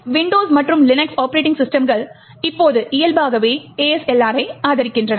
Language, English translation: Tamil, Windows and Linux operating systems now support ASLR by default